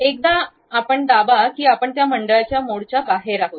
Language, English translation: Marathi, Once you press, you are out of that circle mode